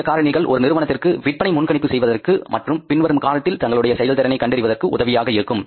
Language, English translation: Tamil, All these misfactors are going to help the companies to forecast the sales and to know about their performance in the period to come